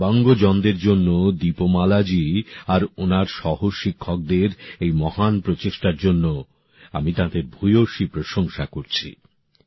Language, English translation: Bengali, I deeply appreciate this noble effort of Deepmala ji and her fellow teachers for the sake of Divyangjans